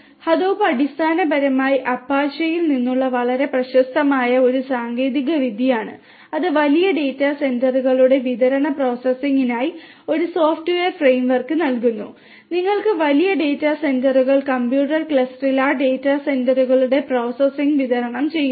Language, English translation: Malayalam, Hadoop is basically a very popular technology from apache, which gives a software framework for distributed processing of large data sets you have large data sets distributed processing of those data sets in a cluster of computers is what Hadoop basically specifically gives you the framework for